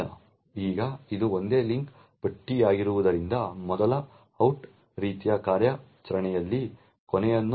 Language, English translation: Kannada, Now since it is a single link list so there is a last in first out kind of operation which goes on